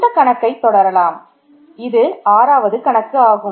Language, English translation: Tamil, So, let us continue the Problems, this is the 6th problem